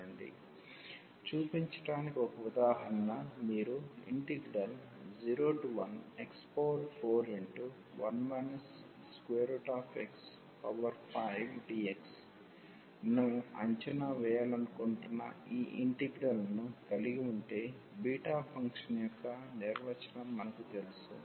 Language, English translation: Telugu, Just an example to so, if you have this integral which we want to evaluate 0 to 1 x power 4 1 minus x up of 5 dx we know the definition of the beta function